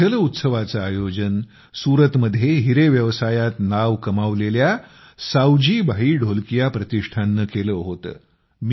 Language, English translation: Marathi, This water festival was organized by the foundation of SavjibhaiDholakia, who made a name for himself in the diamond business of Surat